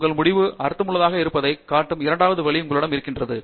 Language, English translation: Tamil, You should have a second way of showing that your result makes sense